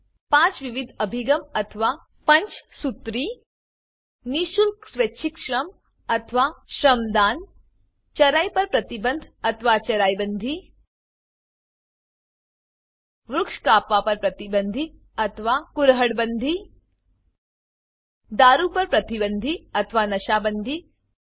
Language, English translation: Gujarati, Five pronged approach or Panchsutri 1.Free voluntary Labour or Shramdaan 2.Ban on Grazing or Charai bandi 3.Ban on Tree cutting or Kurhad bandi 4.Ban on liquor or Nasha Bandi 5